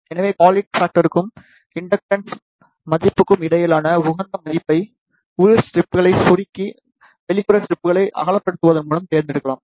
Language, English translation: Tamil, So, the optimum value between the quality factor and the inductance value can be selected by narrowing down the inner strips and widening the outer strips